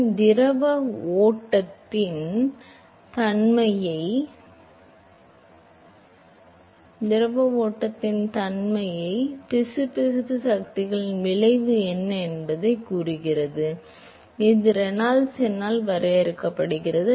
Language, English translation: Tamil, So, it tells you what is the effect of inertial and viscous forces on the fluid flow that is what Reynolds number characterizes